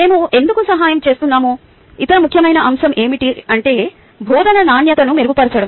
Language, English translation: Telugu, other important aspect of why we assist is actually to improve the quality of teaching